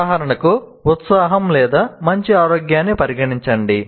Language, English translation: Telugu, For example, enthusiasm or better health